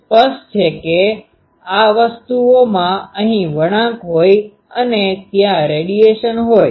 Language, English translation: Gujarati, But obviously, in these things there is a bend here and there will be a radiation